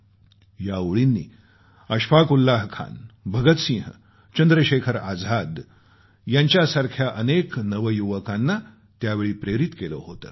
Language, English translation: Marathi, These lines inspired many young people like Ashfaq Ullah Khan, Bhagat Singh, Chandrashekhar Azad and many others